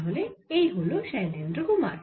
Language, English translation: Bengali, so here is shailendra kumar